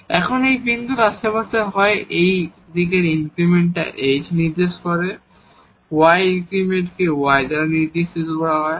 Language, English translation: Bengali, Now in this neighborhood of this point, either in this increment in this direction is denoted by h increment in the y direction was denoted by k